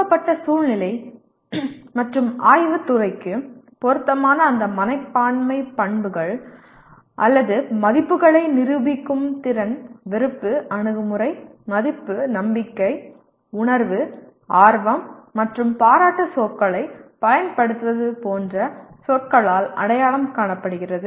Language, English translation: Tamil, And then ability to demonstrate those attitudinal characteristics or values which are appropriate to a given situation and the field of study are identified by words such as like you use the words like, dislike, attitude, value, belief, feeling, interest, appreciation, and characterization